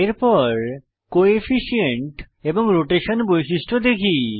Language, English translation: Bengali, Next let us check the Coefficient and Rotation properties